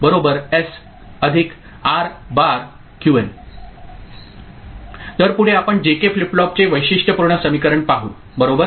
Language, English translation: Marathi, So, next we look at characteristic equation of J K flip flop right